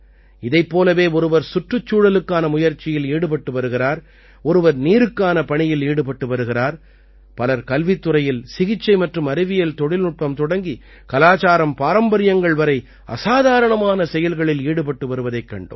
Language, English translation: Tamil, Similarly, some are making efforts for the environment, others are working for water; many people are doing extraordinary work… from education, medicine and science technology to culturetraditions